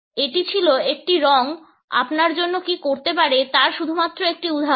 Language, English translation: Bengali, This is just one example of what one color can do for you